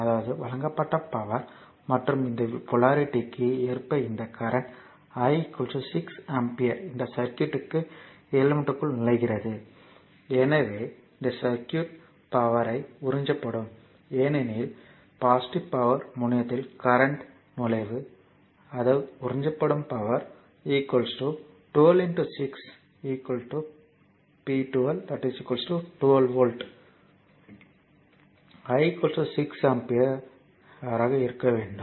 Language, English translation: Tamil, So, whenever current is leaving plus terminal it should be minus I told you earlier; that means, power supplied right and this current I is equal to 6 ampere according to this polarity, entering into this circuit into this element right therefore, it this circuit will absorbed power because current entering at the positive terminal; that means, power absorbed should be 12 into 6 p 2 is equal to 12 volt into I is equal to 6 ampere